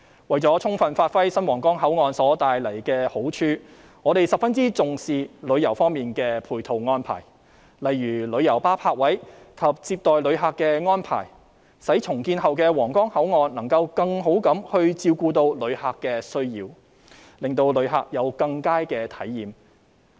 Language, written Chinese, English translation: Cantonese, 為了充分發揮新皇崗口岸帶來的好處，我們十分重視旅遊方面的配套安排，例如旅遊巴泊位及接待旅客的安排，使重建後的皇崗口岸能夠更好照顧旅客的需要，令旅客有更佳的體驗。, In order to fully bring out the benefits of the new Huanggang Port we attach great importance to the supporting tourism arrangement such as parking spaces for coaches and tourist reception arrangement so that the redeveloped Huanggang Port can better serve tourists needs and give them better travel experience